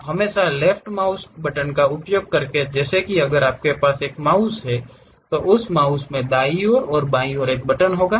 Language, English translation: Hindi, You always use left mouse button, something like if you have a mouse, in that mouse the right one, left one will be there